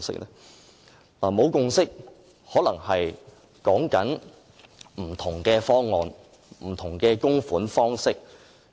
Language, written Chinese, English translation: Cantonese, 所謂沒有共識，可能指有不同的方案和不同的供款方式。, When people talk about a lack of consensus they may point to the having of different proposals and contribution methods in society